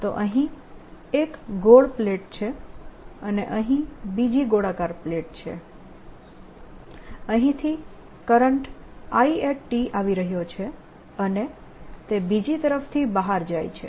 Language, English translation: Gujarati, so here is the circular plate, here is the other circular plate current i is coming in, i t and its going out